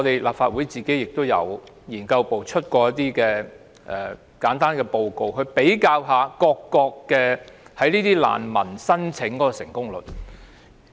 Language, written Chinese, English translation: Cantonese, 立法會資訊服務部資料研究組曾發表一份研究報告，比較各國難民申請的成功率。, The Research Office of the Information Services Division of the Legislative Council had published a research report comparing the substantiation rates of refugee applications in various countries